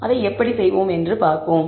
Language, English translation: Tamil, Now let us see how to view the data